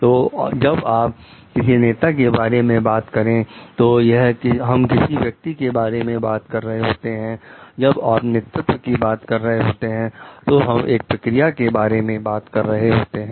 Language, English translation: Hindi, So, when you talk of a leader, we are talking of a person; when you are talking of a leadership, we are talking this we are talking of a process